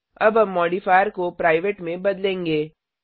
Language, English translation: Hindi, We will now change the modifier to private